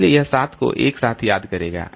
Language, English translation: Hindi, So, it will miss this seven altogether